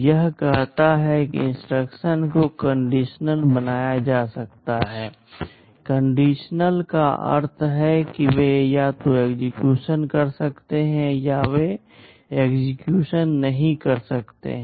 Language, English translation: Hindi, This says that the instructions can be made conditional; conditional means they may either execute or they may not execute